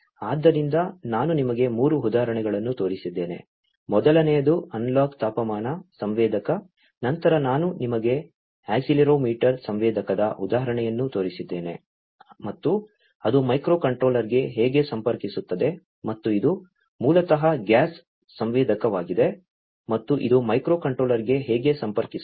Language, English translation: Kannada, So, I have shown you 3 examples; the first one was the analog temperature sensor then I have shown you the example of the accelerometer sensor, and how it connects to the microcontroller and this one is basically a gas sensor, and how it connects to the microcontroller